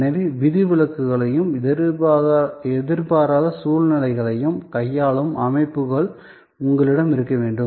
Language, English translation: Tamil, And therefore, you have to have systems to handle exceptions as well as unforeseen circumstances